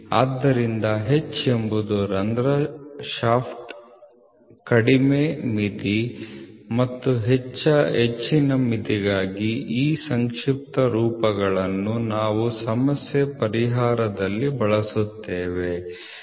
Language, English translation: Kannada, So, this is H is for hole shaft lower limit and higher limit, so this these acronyms we will be using in problem solving